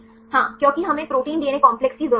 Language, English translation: Hindi, yes because we need protein DNA complexes